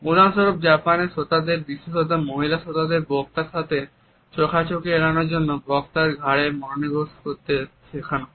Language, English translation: Bengali, For example, in Japan listeners particularly women are taught to focus on a speaker’s neck in order to avoid eye contact